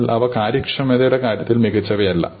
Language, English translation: Malayalam, But are not the best in terms of efficiency